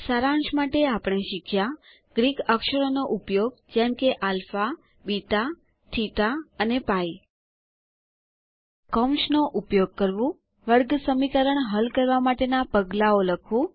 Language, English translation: Gujarati, To summarize, we learned the following topics: Using Greek characters like alpha, beta, theta and pi Using Brackets Writing Steps to solve a Quadratic Equation